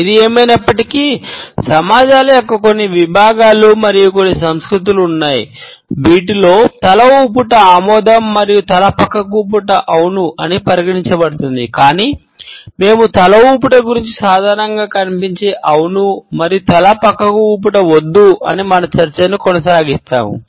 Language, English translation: Telugu, However, there are certain segments of societies and certain cultures in which the nod is considered to be a no and a shake is considered to be a yes, but we would continue our discussion aligning with the commonly found understanding of the nod as yes and shake as a no